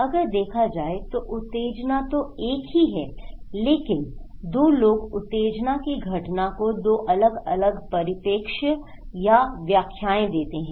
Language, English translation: Hindi, So, the stimulus is there, the same but two people have two different perspective or interpretations of the event of the stimulus